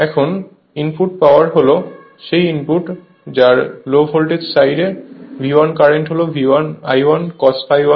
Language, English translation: Bengali, Now, input power is input that low voltage side V 1 current is I 1 cos phi 1